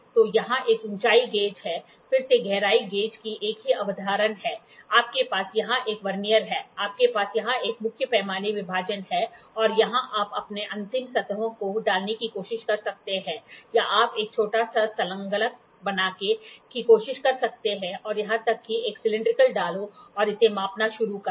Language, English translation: Hindi, So, here is a height gauge, again the same concept of depth gauge, you have a Vernier here, you have a main scale division here and here you can try to put your end surfaces or you can try to make a small attachment and even put a cylindrical one and start measuring it